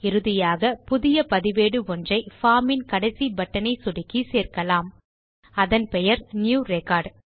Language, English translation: Tamil, Finally, let us add a new record by clicking on the last button on the form which is New record